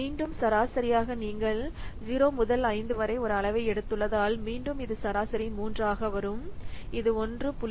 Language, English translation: Tamil, So, again, for average, since you have taking a scale from 0 to 5, again, this is average will be coming 3